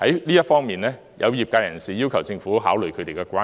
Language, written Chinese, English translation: Cantonese, 就這方面，有業界人士要求政府考慮他們的關注。, In this case certain business operators have urged the Government to take their concerns into account